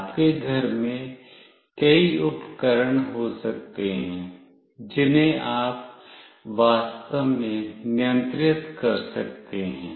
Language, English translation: Hindi, There could be many appliances in your home, which you can actually control